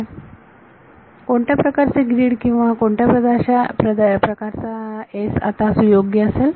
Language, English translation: Marathi, So, what kind of a grid or what kind of a region S will be suitable now